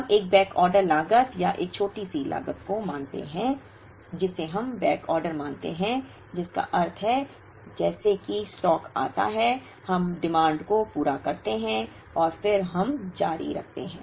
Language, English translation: Hindi, We incur a backorder cost or a shortage cost we assume backorder, which means as soon as the stock arrives, we meet the demand and then we continue